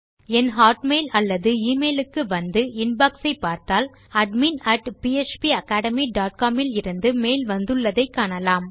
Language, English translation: Tamil, If I come into my hotmail or my email and click on my INBOX, you can see that weve now got a mail from admin @ phpacademy dot com